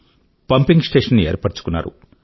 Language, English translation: Telugu, A pumping station was set up